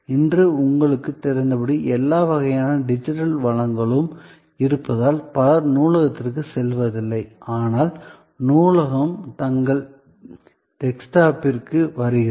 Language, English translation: Tamil, As you know today with all kinds of digital resources being available, many people do not go to the library, but that the library comes to their desktop